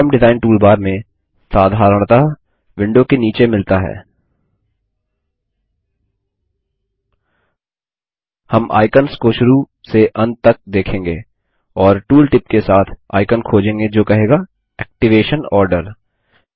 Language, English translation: Hindi, In the Form Design toolbar, usually found at the bottom of the window, we will browse through the icons And find the icon with the tooltip that says Activation order